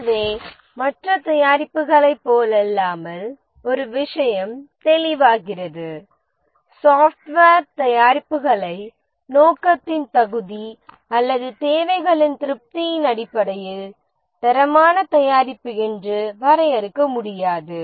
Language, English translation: Tamil, So one thing is clear that unlike other products, software products cannot be defined to be quality product based on just fitness or purpose or satisfaction of the requirements